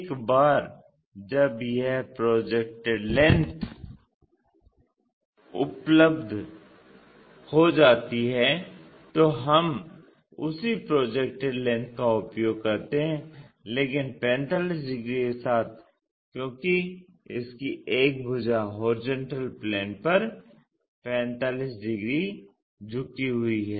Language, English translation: Hindi, Once that projected length is available we use the same projected length, but with a 45 degrees because is making one of its sides with its surfaces 45 degrees inclined to horizontal plane